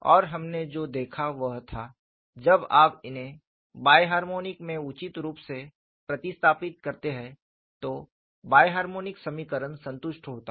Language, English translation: Hindi, And what we looked at was when you substitute these appropriating in the bi harmonic, the bi harmonic equation is satisfied